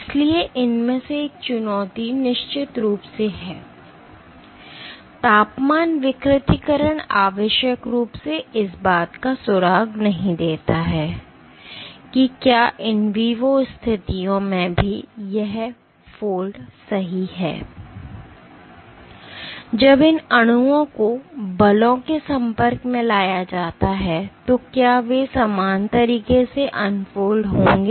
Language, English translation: Hindi, So, one of the challenges of this is of course, temperature denaturation need not necessarily give us a clue of whether the same holds true for in vivo situations, when these molecules are exposed to forces will they unfold in a similar manner